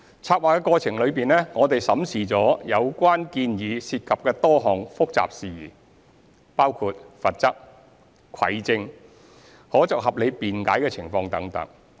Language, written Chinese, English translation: Cantonese, 籌劃過程中，我們審視了有關建議涉及的多項複雜事宜，包括罰則、蒐證、可作合理辯解的情況等。, We have examined a number of complicated issues involved in the proposals including penalties collection of evidence circumstances to establish a reasonable defence etc